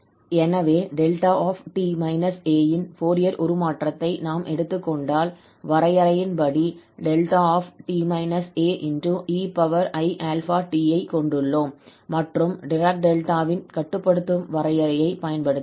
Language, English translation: Tamil, So, if we take this Fourier transform of this delta t minus a then we have here delta t minus a e power i alpha t as per the definition and then we have used this limiting definition of the Dirac Delta